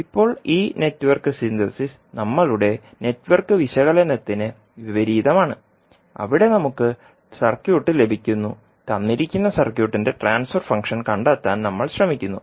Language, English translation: Malayalam, Now this Network Synthesis is just opposite to our Network Analysis, where we get the circuit and we try to find out the transfer function of the given circuit